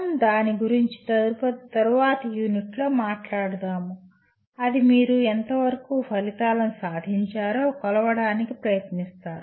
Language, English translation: Telugu, We will talk about that in later units that is you try to measure to what extent outcomes have been attained